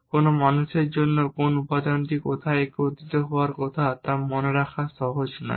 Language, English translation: Bengali, It is not easy for any human being to remember which components supposed to go where and so on